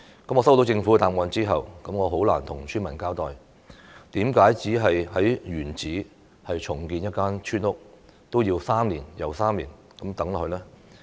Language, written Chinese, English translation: Cantonese, 我接獲政府的答覆後，很難向村民交代，為何只是在原址重建一間村屋，也要 "3 年又3年"等下去呢？, Having received the reply from the Government I find it difficult to explain to villagers why they have to wait three years and then three additional years for only the in - situ redevelopment of a village house